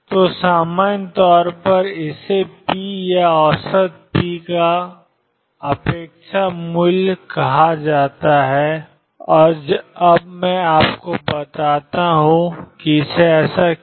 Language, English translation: Hindi, So, in general this is going to be called the expectation value of p or the average p and let me now tell you why